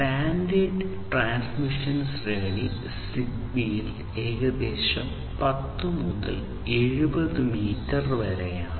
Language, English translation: Malayalam, And, the standard range of transmission is about 10 to 70 meters in ZigBee